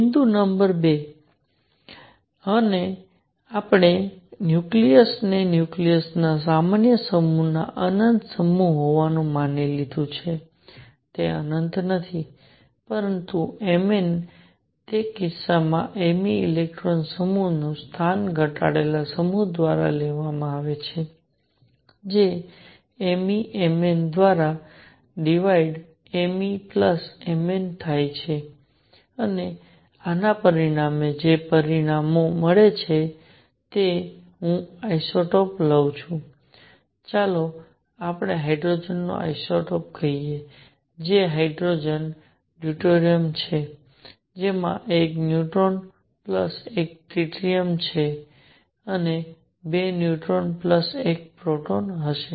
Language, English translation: Gujarati, Point number two; we assumed nucleus to have infinite mass in general mass of nucleus is not infinite, but Mn in that case m e electron mass is replaced by the reduced mass which is m e M n divided by m e plus M n and this has consequences what are the consequences suppose I take isotope, let us say isotope of hydrogen which are hydrogen deuterium which has 1 neutron plus 1 proton tritium which has 2 neutrons plus 1 protons